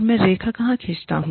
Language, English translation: Hindi, Where do, i draw the line